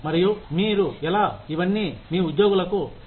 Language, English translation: Telugu, And, how you communicate, all of this, to your employees